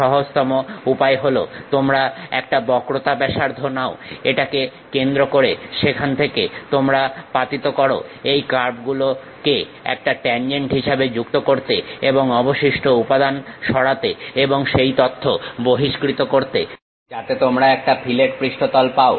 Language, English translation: Bengali, The easiest way is, you pick a radius of curvature, a center from there you draw a knock to join as a tangent to these curves and remove the remaining material and extrude that information so that, you get a fillet surface